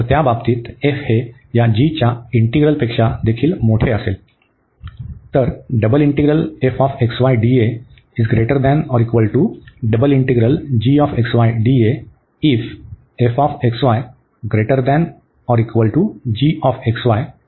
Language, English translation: Marathi, In that case, the integral of this g, f will be also greater than the integral of this g here